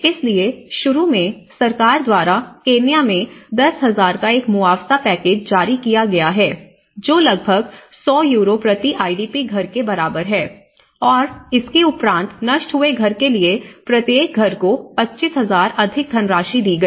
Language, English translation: Hindi, So, initially, there is a compensation package issued by the government about in a Kenyan of 10,000 which is about 100 Euros per IDP household and an additional 25,000 for each household with a destroyed house